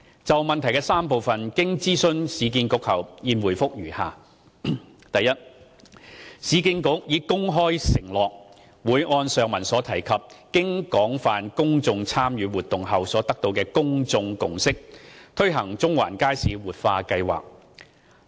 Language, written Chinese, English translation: Cantonese, 就質詢的3個部分，經諮詢市建局後，現答覆如下：一市建局已公開承諾，會按上文提及經廣泛公眾參與活動後所得的公眾共識，推行中環街市活化計劃。, Having consulted URA my reply to the three - part question is as follows 1 URA made a public pledge that the Central Market Revitalization Project will be implemented on the basis of the above mentioned public consensus achieved from the extensive public engagement exercise